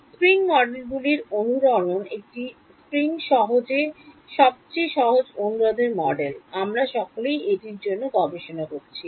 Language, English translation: Bengali, Spring models resonances a spring is the most simplest model for a resonance we have all studied this for